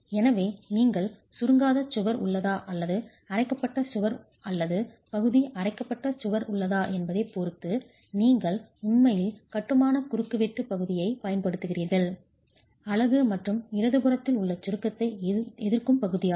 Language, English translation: Tamil, So, you can look at depending on whether you have an ungrouted wall or a grouted wall or partially grouted wall, you are actually using the portion which is of masonry cross section unit plus the grout as being part which resists the compression